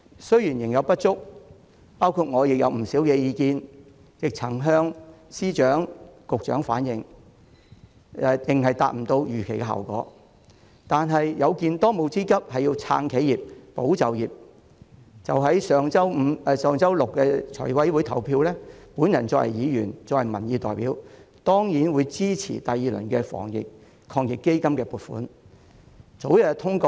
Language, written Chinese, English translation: Cantonese, 雖然仍有不足，包括我向司長和局長反映的不少意見仍無法達到預期效果，但有見當務之急是要撐企業、保就業，在上周六的財務委員會會議上表決時，身為議員和民意代表的我當然支持第二輪防疫抗疫基金的撥款。, While there are still inadequacies including the fact that a number of my suggestions made to the Secretaries of Departments and Directors of Bureaux have failed to achieve the desired effect given the pressing task to support enterprises and safeguard jobs I as a Member and representative of public opinion certainly supported the funding proposal for the second round of AEF when it was put to vote at the meeting of the Finance Committee last Saturday